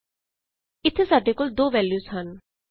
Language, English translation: Punjabi, And here we have two values